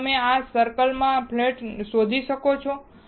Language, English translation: Gujarati, Can you find a flat in this circle